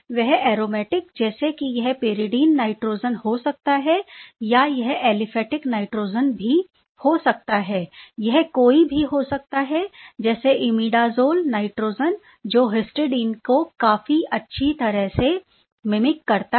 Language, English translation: Hindi, It could be aromatic I mean it could be pyridine nitrogen, it could be aliphatic nitrogen, it could be any let say imidazole nitrogen which mimics quite well the histidine